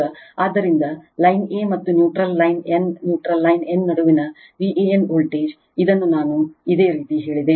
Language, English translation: Kannada, Now, so V a n voltage between line a and neutral line n right neutral line n, this I told you